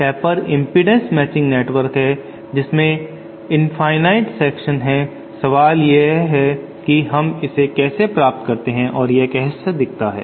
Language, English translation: Hindi, Taper is an impedance matching network which has infinite sections, the question is how we achieve or what does it physically look like